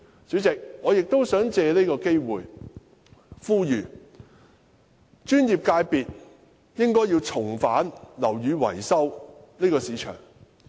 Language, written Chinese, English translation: Cantonese, 主席，我亦想藉此機會呼籲專業界別重返樓宇維修這個市場。, President I also wish to take this opportunity to urge the professional services sector to return to the building maintenance market